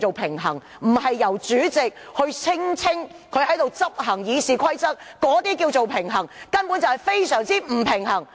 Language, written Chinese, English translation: Cantonese, 平衡並非來自主席聲稱他如何執行《議事規則》，這種所謂的平衡根本是非常不平衡！, A balance does not come from a President who keeps saying how he is going to enforce RoP . This so - called balance is actually a strong imbalance!